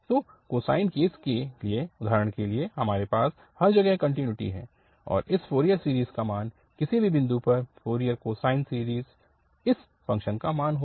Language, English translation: Hindi, So, for the cosine case for instance, you have the continuity everywhere and so the value of this Fourier series, the Fourier cosine series will be exactly the value of this function at any point